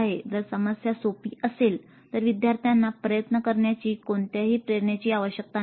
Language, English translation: Marathi, The problem is too easy then the students would really not have any motivation to put in effort